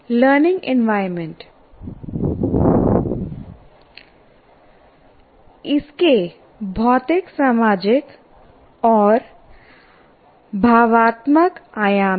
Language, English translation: Hindi, Learning environment, it has physical, social, and emotional dimensions